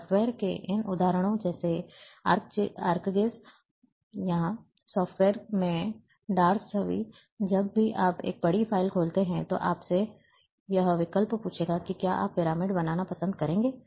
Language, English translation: Hindi, In a, in these like examples of the software like ArcGIS, or a dos image in software, whenever you open a large file, it will ask you the this option, that would you like to construct a pyramid